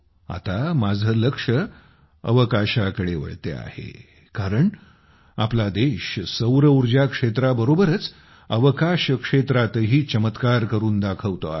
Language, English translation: Marathi, That is because our country is doing wonders in the solar sector as well as the space sector